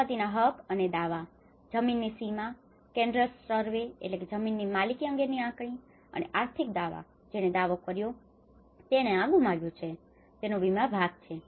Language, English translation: Gujarati, Property rights and claims, land boundary, cadastral survey, and the financial claims whoever have claimed that they have lost this; there is an insurance part of it